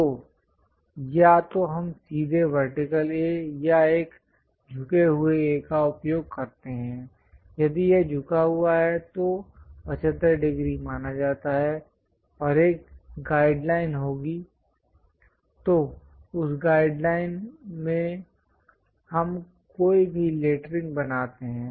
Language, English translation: Hindi, So, either we use straight vertical A or an inclined A; if this is inclined is supposed to be 75 degrees, and there will be a guide lines, in that guide lines we draw any lettering